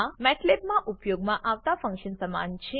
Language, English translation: Gujarati, This is similar to the one used in matlab